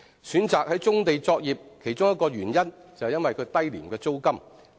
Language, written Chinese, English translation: Cantonese, 選擇在棕地作業的其中一個原因是其租金低廉。, One reason for choosing to operate on a brownfield site is its low rent